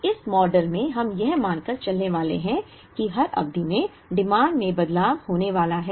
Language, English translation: Hindi, Now, in this model we are going to assume, that the demand is going to change in every period